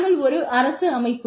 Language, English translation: Tamil, We are a government organization